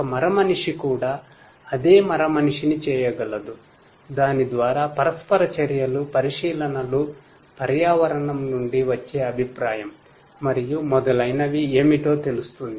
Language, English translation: Telugu, A robot also can do the same robot through it is interactions, observations, feedback from the environment and so on will know that what is what